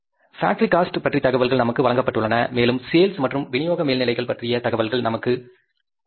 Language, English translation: Tamil, We are given the information about the factory cost and we are given the information about the, say the selling and distribution overheads